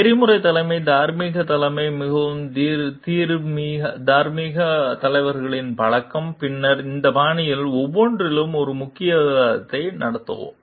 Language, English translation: Tamil, Ethical leadership, moral leadership, habits of highly moral leaders and then we will have a short discussion on each of these styles